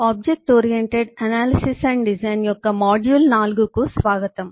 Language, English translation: Telugu, welcome to module 4 of object oriented analysis and design